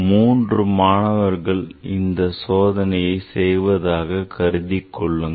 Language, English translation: Tamil, So, say, three students are doing this experiment